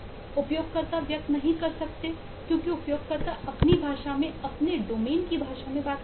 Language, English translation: Hindi, users cannot express because users eh talk in their language, the language of their domain